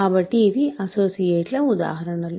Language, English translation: Telugu, So, these are examples of associates ok